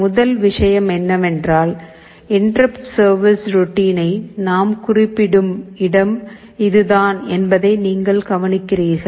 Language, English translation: Tamil, First thing is that you note this is the place where we are specifying the interrupt service routine